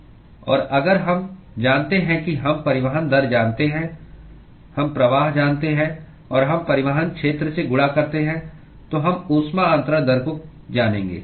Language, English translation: Hindi, And if we know that, we know the transport rate, we know the flux and we multiply by the transport area, we will know the heat transfer rate